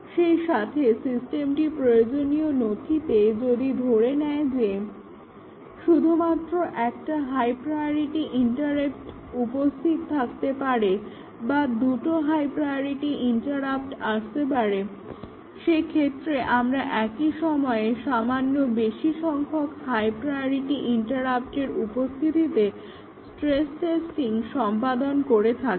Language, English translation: Bengali, At the same time, if the system makes an assumption in the requirement document that any time only one high priority interrupt can come or two priority interrupt can come, we do the stress testing by having slightly more number of higher priority interrupt coming at a time